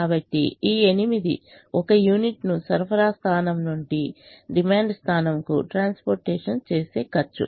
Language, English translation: Telugu, so this eight is the cost of transporting a unit from supply point one to demand point one